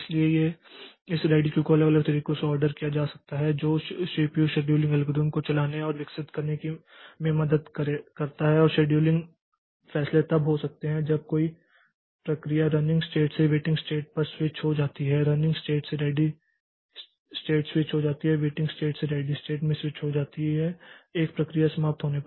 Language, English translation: Hindi, So, this ready queue may be ordered in different ways that helps in running a developing this CPU scheduling algorithm and scheduling decisions may take place when a process switches from running state to waiting state, switches from running state to ready state, switches from waiting state to ready state and when a process terminate